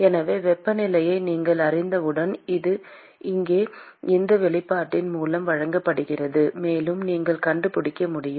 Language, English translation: Tamil, So, once you know the temperature this is simply given by this expression here, and you will be able to find out